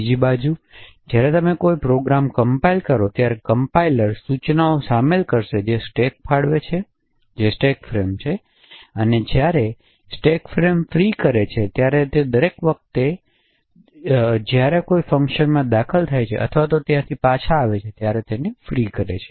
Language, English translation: Gujarati, On the other hand when you compile a program the compiler would insert instructions that would allocate stack that is a stack frame and free the stack frame every time a function is entered or returned respectively